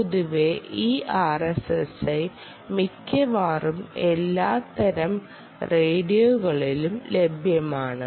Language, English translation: Malayalam, this r s s i is available on almost all types of radios